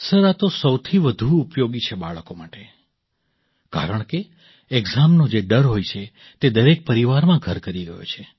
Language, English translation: Gujarati, Sir, this is most useful for children, because, the fear of exams which has become a fobia in every home